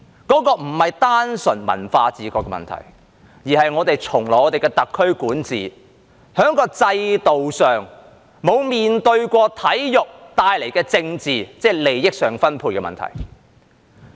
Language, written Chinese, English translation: Cantonese, 那不是單純文化自覺的問題，而是在我們特區從來的管治中，在制度上沒有面對過體育帶來的政治，即利益上分配的問題。, It is not a question of cultural awareness alone but the politics of sports which have never been faced under the administration of SAR that is the issue of distribution of interests